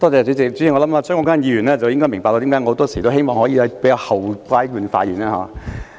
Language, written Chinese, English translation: Cantonese, 主席，相信張國鈞議員應該明白為何我很多時也希望在較後階段發言。, President I am sure Mr CHEUNG Kwok - kwan will come to understand why I always try to speak at the later stage during a debate